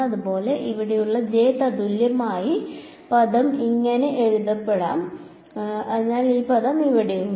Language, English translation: Malayalam, Similarly the j equivalent term over here will be written as; so, this term over here yeah